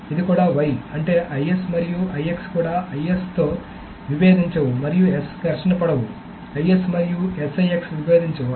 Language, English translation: Telugu, This is also why that means IS and IX also do not conflict, IS and S do not conflict, IS and 6 do not conflict